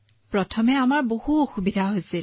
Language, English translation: Assamese, Initially we faced a lot of problems